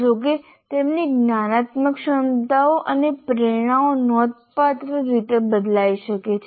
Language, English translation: Gujarati, However, their cognitive abilities and motivations can considerably vary